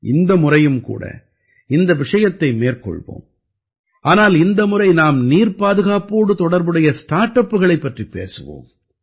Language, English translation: Tamil, This time also we will take up this topic, but this time we will discuss the startups related to water conservation